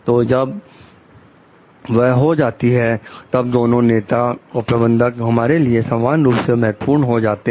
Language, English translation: Hindi, So, when that is done, both leaders and managers become equally important to us